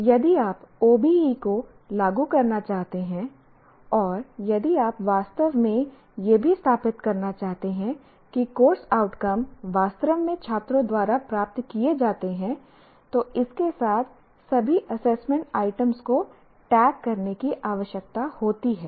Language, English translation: Hindi, So this is the minimum that is required as far as if you want to implement OBE and if you want to also, if you also want to really establish that the course outcomes are actually attained by the students, one requires tagging of all the assessment items with this